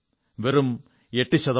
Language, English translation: Malayalam, Just and just 8%